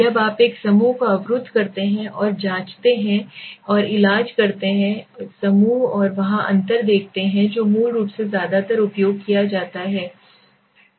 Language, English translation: Hindi, When you block a group and check and treat a group and there see the difference that is where is basically mostly used